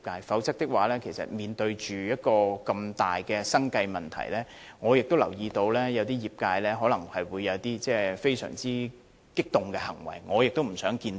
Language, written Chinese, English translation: Cantonese, 否則，面對如此大的生計問題，我留意到有些業界可能會有一些非常激動的行為，我也不想看到。, Otherwise in the face of the imminent threat of losing their means of living I note that some members of the industry may resort to certain extremely radical actions . But I do not wish to see this happen